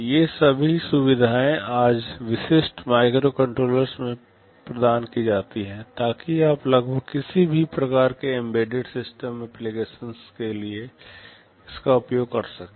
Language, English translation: Hindi, All these facilities are provided in typical microcontrollers today, so that you can use it for almost any kind of embedded system applications